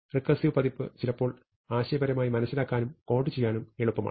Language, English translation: Malayalam, The recursive version is sometimes easier to conceptually understand and to code